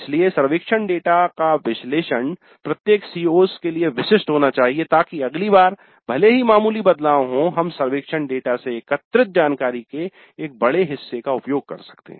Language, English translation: Hindi, So the analysis of the survey data must be specific to each CO so that next time even if there are minor changes we can use a large part of the information gathered from the survey data